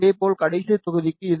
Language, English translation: Tamil, Similarly, for last block it 0